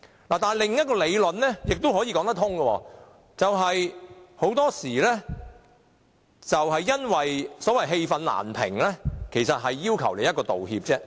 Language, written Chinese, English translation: Cantonese, 但是，另一個理論也說得通，就是很多時候當事人是因為氣憤難平，其實他只要求一個道歉而已。, However another argument is also valid . Very often parties to disputes just want an apology to vent their anger